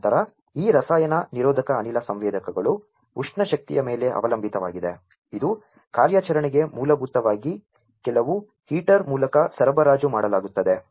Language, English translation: Kannada, And then these chemi resistive gas sensors will depend on the thermal energy for it is operation which is basically supplied through some heater, right